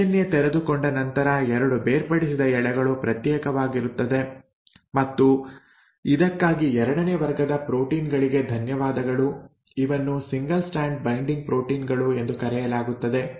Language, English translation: Kannada, Once the DNA has been unwound the 2 separated strands remain separated thanks to the second class of proteins which are called as single strand binding proteins